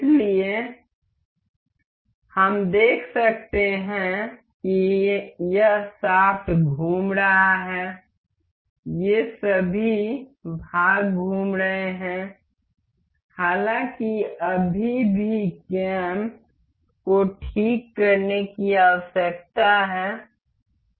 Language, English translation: Hindi, So, we can see as the this shaft is rotating all of these parts are moving; however, the cam is still need to be fixed